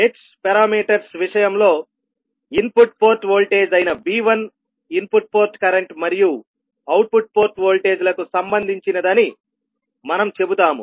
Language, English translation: Telugu, In case of h parameters we will say that V1 that is the input port voltage will be related to input port current and output port voltages in terms of h11 I1 plus h12 V2